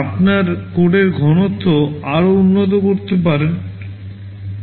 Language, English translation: Bengali, Yyour code density can further improve right